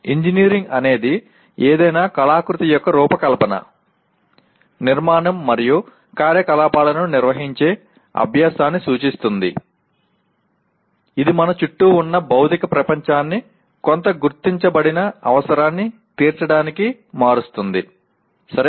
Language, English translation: Telugu, Engineering refers to the practice of organizing the design, construction, and operation of any artifice which transforms the physical world around us to meet some recognized need, okay